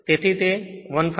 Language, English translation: Gujarati, So, it is 15